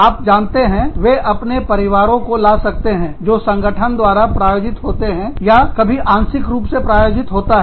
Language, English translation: Hindi, They may bring their families, you know, that are sponsored by the organization, or, that are sometimes partially sponsored by the organization